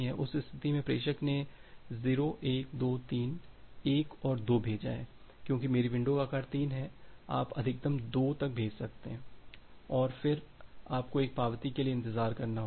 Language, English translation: Hindi, In that case, the sender has send 0 1 2 3 1 and 2 because my window size is 3 you can send maximum up to 2 and then you have to wait for an acknowledgement